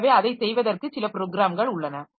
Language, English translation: Tamil, So, there are some programs for doing that